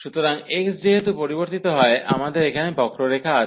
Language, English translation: Bengali, So, as the x varies, we have the curve here